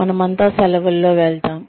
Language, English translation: Telugu, We all go on vacation